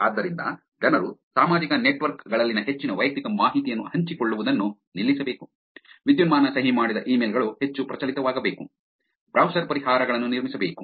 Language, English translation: Kannada, So, people should stop sharing a lot more personal information on social networks, digitally signed emails should become more prevalent, browser solutions should be built